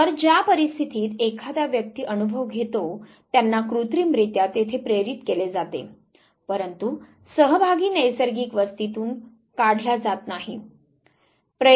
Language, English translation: Marathi, So, the circumstances that the individual experience they are artificially induced there, but the participant is not removed from the natural habitat is not brought to the lab center